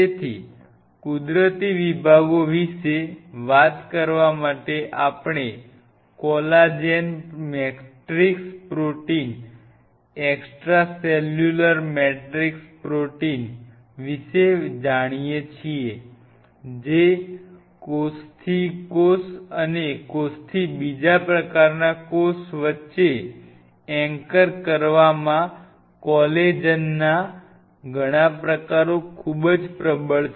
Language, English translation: Gujarati, So, talking about the natural ones to start off with we are aware about Collagen matrix protein extracellular matrix protein which is very dominant in ensuring the anchorage between cell to cell and cell to other cell type and collagen has several types